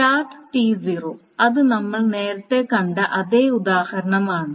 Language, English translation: Malayalam, And this is the same example as we saw earlier